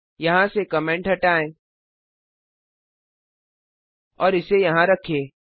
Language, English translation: Hindi, Delete the comment from here and put it here